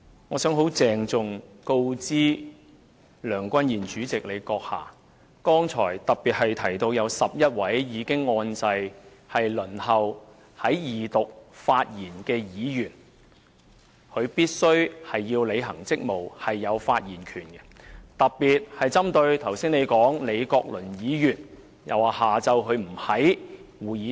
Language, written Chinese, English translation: Cantonese, 我想很鄭重告知梁君彥主席，剛才特別提到有11位已按下"發言按鈕"，輪候在二讀發言的議員必須履行職務，而且享有發言權，特別是你剛才指李國麟議員下午不在會議廳。, I have to inform President Andrew LEUNG solemnly particularly in regard to his mention of 11 Members who have pressed the Request to speak button . Members waiting to speak during the Second Reading debate must discharge their duty and are entitled to speak . In particular you mentioned just now that Prof Joseph LEE was absent from the Chamber in the afternoon